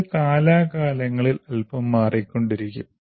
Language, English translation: Malayalam, This may keep changing slightly from time to time